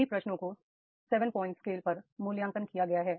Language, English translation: Hindi, All questions are rated on a seven point scale